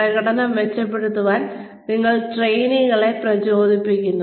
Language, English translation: Malayalam, You motivate trainees, to improve performance